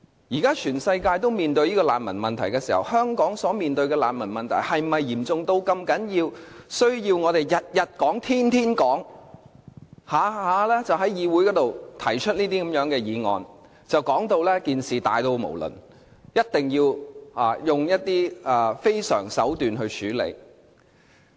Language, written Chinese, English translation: Cantonese, 現時全世界都面對難民問題，香港所面對的難民問題是否嚴重到我們需要每天都在討論，動輒在議會提出議案，說事情十分嚴重，一定要用一些非常手段處理呢？, Countries around the world have to deal with the refugee problem . Is this problem in Hong Kong so serious that we need to talk about it every day or move a motion debate on it so as to say that it is a grave problem? . Do we need to resort to such an uncommon approach?